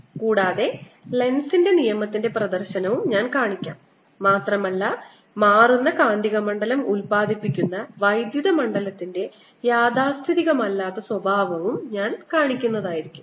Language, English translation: Malayalam, i'll show you demonstration of lenz's law and i'll also show you the non conservative nature of electric field produced by a changing magnetic field